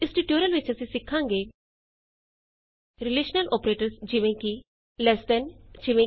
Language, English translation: Punjabi, In this tutorial, we learnt Relational operators like Less than: eg